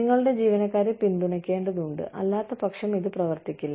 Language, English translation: Malayalam, You have to, want to support your employees, otherwise this will not run